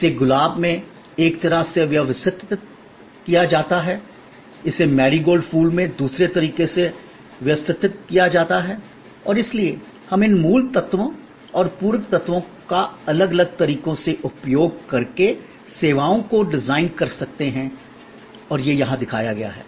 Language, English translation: Hindi, It is arranged in one way in Rose, it is arranged in another way in a Marigold flower and therefore, we can design services by using these core elements and the supplement elements different ways and that is shown here